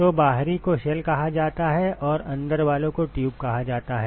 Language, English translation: Hindi, So, the outer one is called the shell and the inside one is called the tube